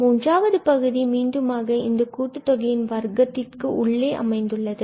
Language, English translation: Tamil, The third one, so we have again, the squares here of the sum which is sitting inside